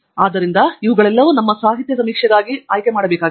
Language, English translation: Kannada, therefore, all these we can actually pick up for our literacy survey